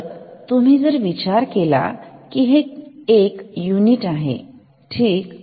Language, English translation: Marathi, So, if you think of 8 as a as 1 unit ok